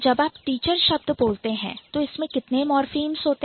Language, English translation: Hindi, So, when you say teacher, how many morphemes